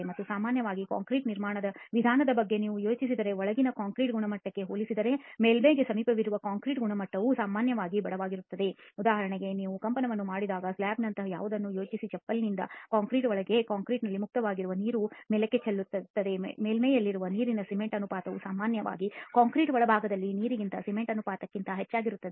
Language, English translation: Kannada, And in general if you think about it the way that concrete construction is done the concrete quality near the surface is generally poorer as compared to the concrete quality in the interior just think about something like a slab for instance when you do the vibration of the concrete in the slab the water which is free in the inside the concrete will tend to move up and the water cement ratio that is at the surface will generally be greater than the water to cement ratio in the interior of the concrete